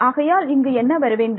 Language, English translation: Tamil, So, what should this be